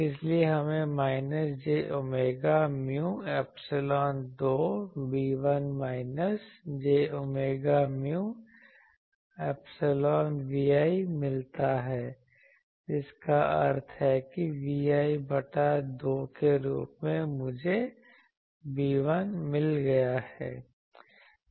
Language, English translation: Hindi, So, we get minus j omega mu epsilon 2 B1 minus j omega mu epsilon Vi that implies that B 1 value I got as V i by 2